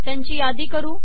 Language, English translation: Marathi, Lets list this